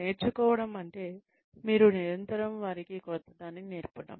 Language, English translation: Telugu, Over learning means, you constantly teach them, something new